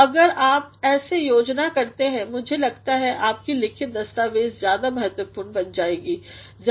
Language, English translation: Hindi, So, if you plan like this I think your written document will become more important will become clear